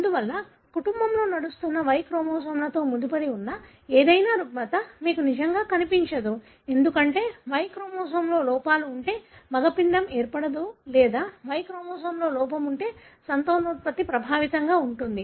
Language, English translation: Telugu, Therefore, really you don’t see any disorder that is linked to Y chromosome that runs in the family, because if there are defects in Y chromosome, then the male embryo will not form or if there is defect in Y chromosome the fertility will be affected